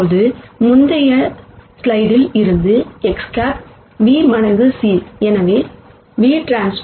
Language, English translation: Tamil, Now, X hat from the previous slide was v times c